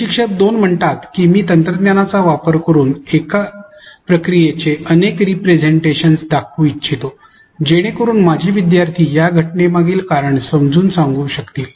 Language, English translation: Marathi, Instructor 2 says that I would like to show multiple representations of a process using technology so, that my students can explain the reason underlying the phenomenon